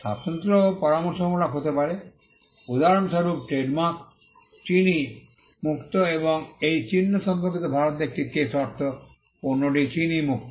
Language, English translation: Bengali, Distinctiveness can also be suggestive; for instance, the trademark sugar free and there was a case in India pertaining to this mark means the product is free of sugar